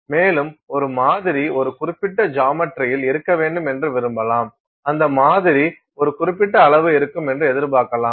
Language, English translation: Tamil, And, it may want a sample to be in a certain geometry, it may expect the sample to be of a certain size